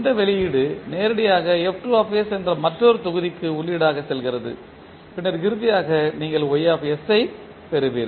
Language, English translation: Tamil, So this output goes directly as an input to the another block that is F2s and then finally you get the Ys